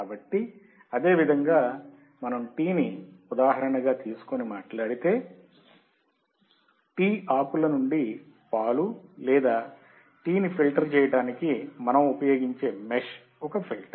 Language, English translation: Telugu, So, same way if we talk about example of a tea, then the mesh that we use to filter out the milk or the tea from the tea leaves, there is a filter